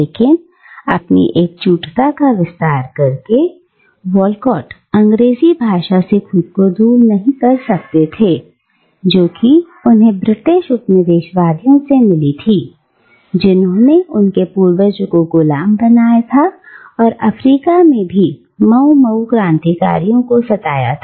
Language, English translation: Hindi, But, even while extending his solidarity, Walcott cannot distance himself from the English language which he has inherited from the very British colonisers who enslaved his ancestors and who now persecuted the Mau Mau revolutionaries in Africa